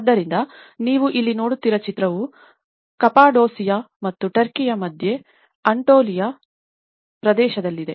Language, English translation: Kannada, So, the picture which you are seeing here is in the Cappadocia and also the central Antolian region of Turkey